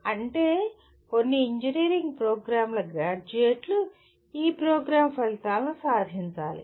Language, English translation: Telugu, That means graduates of all engineering programs have to attain this program outcomes